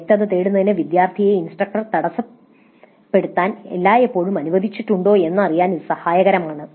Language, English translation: Malayalam, So it is helpful to know whether the students are always allowed to interrupt the instructor to seek clarifications